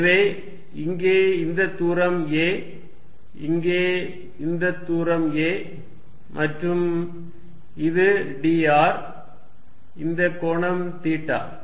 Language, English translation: Tamil, So, this distance here is a, this distance here is a and this is d r, this angle is theta